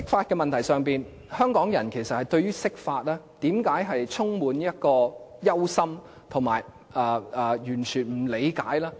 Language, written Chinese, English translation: Cantonese, 其實為何香港人對於釋法充滿憂心，以及完全不理解呢？, Why would Hong Kong people worry so much about the interpretation? . Why would they show no understanding at all?